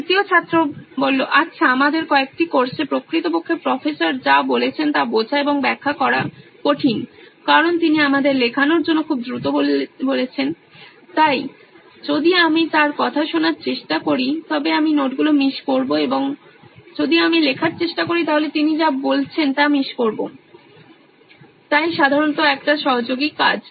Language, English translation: Bengali, Well in few of our courses actually it is kind of difficult to understand and interpret what the Professor is saying because he is saying it way too fast for us to write down, so if I try to listen to him I miss out the notes and if I try to write I miss out what he is saying, so generally a collaborative work